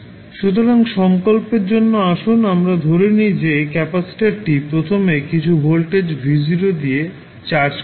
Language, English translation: Bengali, So, for determination let us assume that the capacitor is initially charged with some voltage v naught